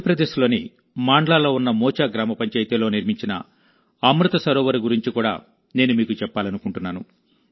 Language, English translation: Telugu, I also want to tell you about the Amrit Sarovar built in Mocha Gram Panchayat in Mandla, Madhya Pradesh